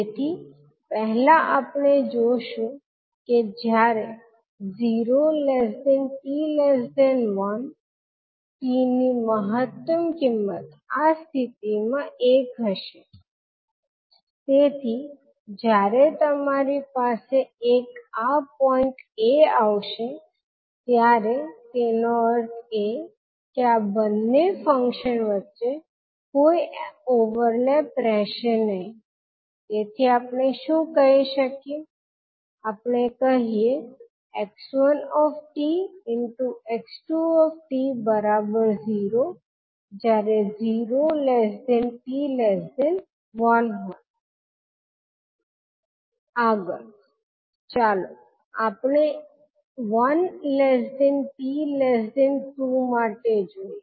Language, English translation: Gujarati, So first we will take that lets see that the t is ranging between zero to one, when t ranges between zero to one the maximum value of t will be one in this case so when you have one coming at this point it means that there will be no overlap between these two functions so what we can say, we say the convolution of x one and x t two for time t between zero to one is zero